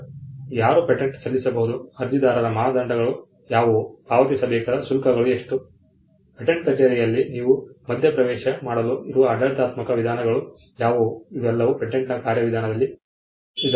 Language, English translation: Kannada, Now, who can file a patent, what should be the criteria for an applicant, what should be the fees that should be paid, what are the administrative methods by which you can intervene in the patent office, these are all procedural aspects of the patent system